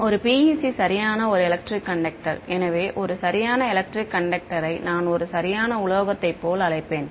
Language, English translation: Tamil, A PEC is a perfect electric conductor; so a perfect electric conductor is one which I mean colloquially you will call like a perfect metal